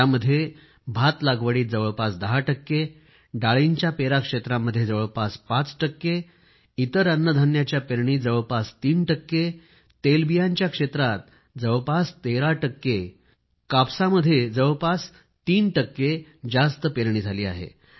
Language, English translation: Marathi, The sowing of paddy has increased by approximately 10 percent, pulses close to 5 percent, coarse cereals almost 3 percent, oilseeds around 13 percent and cotton nearly 3 percent